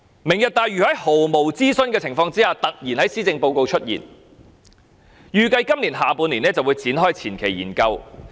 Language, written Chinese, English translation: Cantonese, "明日大嶼願景"在毫無諮詢的情況下突然在施政報告出現，預計今年下半年便會展開前期研究工作。, Lantau Tomorrow Vision suddenly appeared in the Policy Address without any consultation and it is expected that the preliminary study work will be commenced in the latter half of this year